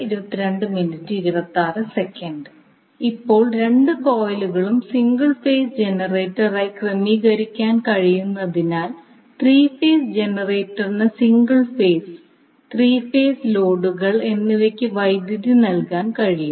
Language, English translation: Malayalam, Now since both coils can be arranged as a single phase generator by itself, the 3 phase generator can supply power to both single phase and 3 phase loads